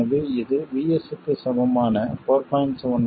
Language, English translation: Tamil, So this corresponds to Vs equals 4